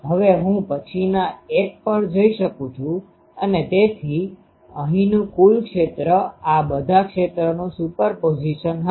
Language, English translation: Gujarati, And, then I can then I go to the next one and so, the total field here will be super position of all these fields